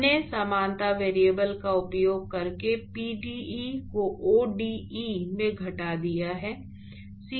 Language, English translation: Hindi, We have reduced the pde into ode by using a similarity variable